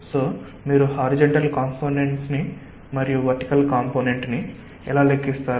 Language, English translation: Telugu, so how do you calculate the horizontal component and the vertical component